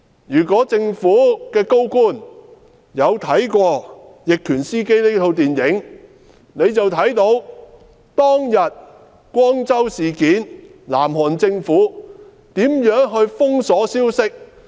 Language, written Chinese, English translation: Cantonese, 如果政府高官看過"逆權司機"這齣電影，就會知道"光州事件"中，南韓政府如何封鎖消息。, If senior government officials have watched the movie A Taxi Driver they should know how the South Korean Government blockaded news during the Gwangju Uprising